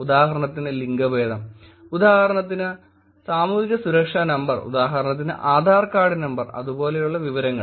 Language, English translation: Malayalam, For example, gender orientation like example Social Security Number, like example Adhaar card number and the information like that